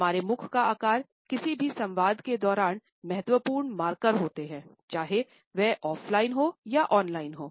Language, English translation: Hindi, The shapes our mouth takes are important markers during any dialogue, whether it is offline or it is online